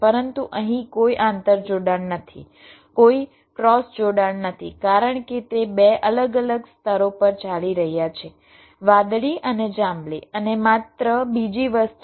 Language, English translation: Gujarati, but here there is no interconnection, no cross connection, because they are running on two different layers, blue and purple